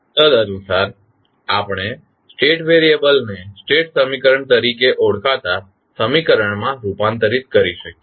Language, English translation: Gujarati, And, accordingly we can sum up the state variable into a equation call the state equation